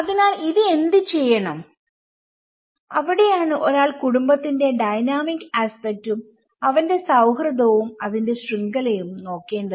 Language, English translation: Malayalam, So, what to do with it so that is where one has to look at the dynamic aspect of the family and his friendship and the network of it